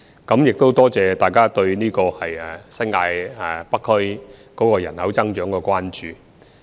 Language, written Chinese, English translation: Cantonese, 我多謝大家對新界北區人口增長的關注。, I thank Members for their concern over the population growth in North District of the New Territories